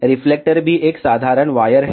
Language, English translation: Hindi, Reflector is also a simple wire